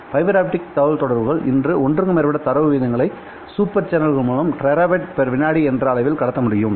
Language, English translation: Tamil, And fiber optic communications today can support data rates in excess of 1 terabits per second super channels